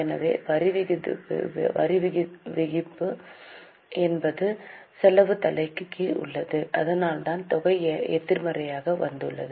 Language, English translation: Tamil, So, taxation is under the expense head, that's why the amount has come as negative